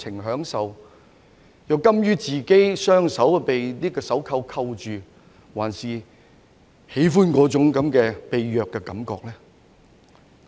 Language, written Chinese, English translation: Cantonese, 卻甘於讓自己的雙手被手銬銬着，還是他們喜歡那種被虐的感覺？, Yet they are willing to let their hands be shackled or do they like the feeling of being abused?